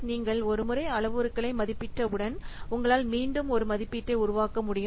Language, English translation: Tamil, So, once you estimate for some parameter, you can generate repeatable estimations